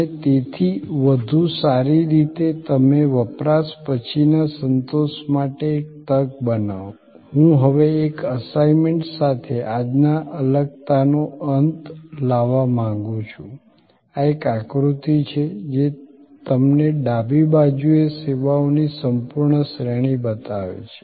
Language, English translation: Gujarati, And therefore better you create a chance for post consumption satisfaction I would now like to end a today secession with an assignment, this is a diagram, which a shows to you a whole range of services on the left hand side